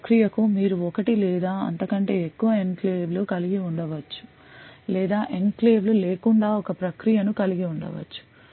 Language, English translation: Telugu, So, per process you could have one or more enclaves or you could also have a process without any enclaves as well